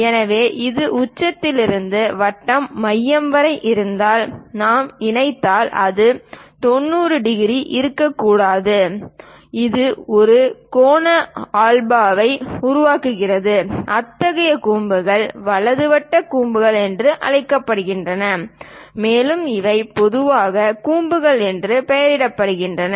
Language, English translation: Tamil, So, this one if from apex all the way to centre of the circle, if we are joining that may not be 90 degrees; it makes an angle alpha, such kind of cones are called right circular cones, and these are generally named as cones